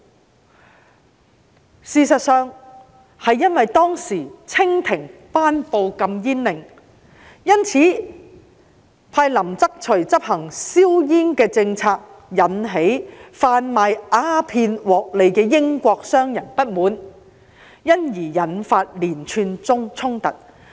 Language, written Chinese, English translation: Cantonese, 然而，事實是當時清廷頒布禁煙令，派林則徐執行銷煙政策，引起販賣鴉片獲利的英國商人不滿，因而引發連串衝突。, Yet the truth is that the Qing Dynasty had issued a ban on opium and appointed LIN Zexu to execute the policy of destroying opium which had aroused discontent among British merchants selling opium for a profit and provoked a series of conflicts